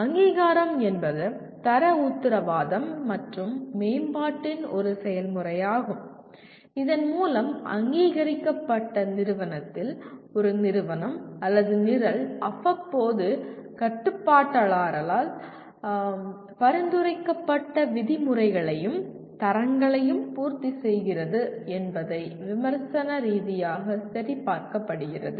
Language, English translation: Tamil, Accreditation is a process of quality assurance and improvement whereby a program in an approved institution is critically apprised to verify that the institution or the program continues to meet and or exceed the norms and standards prescribed by regulator from time to time